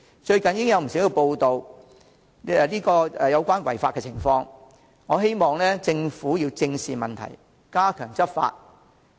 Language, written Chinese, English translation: Cantonese, 最近已有不少有關違法情況的報道，我希望政府正視問題，加強執法。, As there are recently many press reports on such illegal cases I hope that the Government will face up to the problem and step up law enforcement